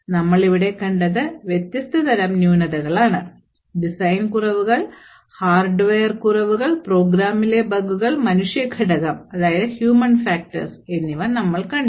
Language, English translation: Malayalam, So, what we have seen over here are different types of flaws, we have seen design flaws, hardware flaws, bugs in the program and the human factor